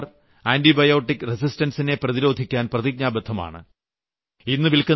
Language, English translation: Malayalam, The government is committed to prevent antibiotic resistance